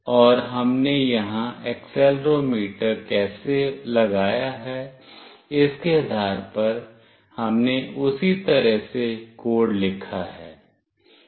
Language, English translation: Hindi, And depending on how we have put the accelerometer here, we have written the code accordingly